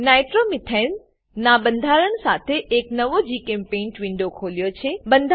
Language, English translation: Gujarati, I have opened a new GChemPaint window with structures of Nitromethane